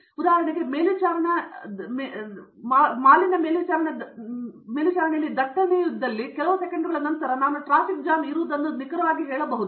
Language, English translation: Kannada, For example, if there is a monitoring traffic, I need to tell very accurately within the next of few seconds that there is a traffic jam here